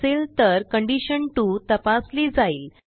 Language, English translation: Marathi, Else it again checks for condition 2